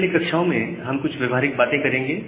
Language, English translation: Hindi, In the next couple of classes, we will do a practical thing